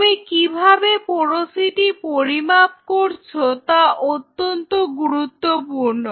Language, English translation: Bengali, How you do the porosity measurements that is very important now for the